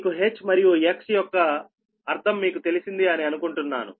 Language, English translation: Telugu, i hope you have understood the meaning of h and x